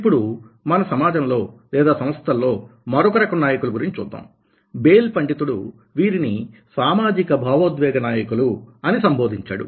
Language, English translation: Telugu, now coming to the another type of leader in our system, in our organizations, society, these scholar say that these are called the socio emotional leaders